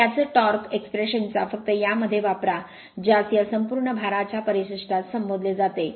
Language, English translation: Marathi, Use the same torque expression only this only this your what you call this terminology of full load current